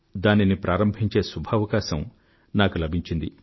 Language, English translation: Telugu, I had the opportunity to inaugurate it